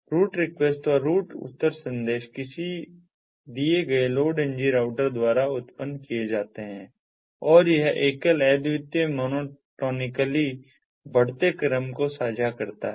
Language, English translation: Hindi, the route requestand route reply messages are generated by a given load ng router and this share a single, unique, monotonically increasing sequence number